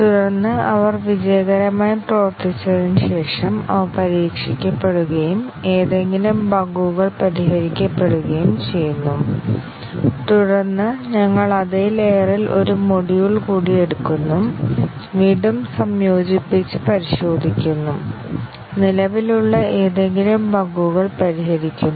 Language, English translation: Malayalam, And then after they work successfully they have been tested and any bugs fixed, then we take one more module in the same layer, again integrate and test it, fix any bugs that are present